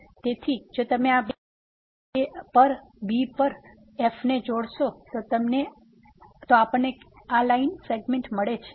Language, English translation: Gujarati, So, if you join these two points at and at then we get this line segment